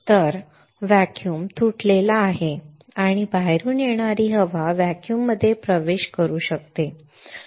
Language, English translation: Marathi, So, that the vacuum is broken and air from the outside can enter the vacuum can enter the chamber, right